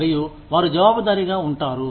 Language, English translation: Telugu, And, they are accountable